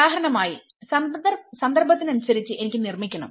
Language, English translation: Malayalam, And I have to tailor according to the context for example